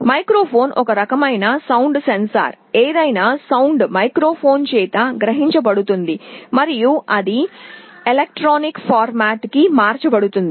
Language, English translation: Telugu, Microphone is a kind of a sound sensor, some sound is being generated that is captured by the microphone and it is converted to electronic format